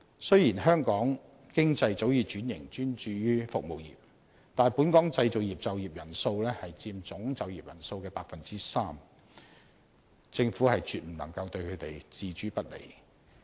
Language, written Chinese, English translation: Cantonese, 雖然香港經濟早已轉型專注於服務業，但本港製造業就業人數佔總就業人數的 3%， 政府絕不能對他們置之不理。, Although Hong Kong has been transformed and it is now focused on the service industry the number of people engaging in Hong Kongs manufacturing industry still account for 3 % of the total employed workforce so the Government should not ignore them